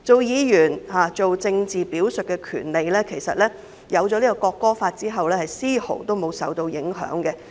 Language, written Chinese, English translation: Cantonese, 議員政治表述的權利在《條例草案》通過後其實絲毫無損。, Members right to make political expressions indeed remains unscathed after the passage of the Bill